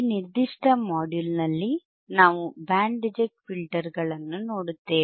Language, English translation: Kannada, In Tthis particular module, we are looking at the Band Reject Filters right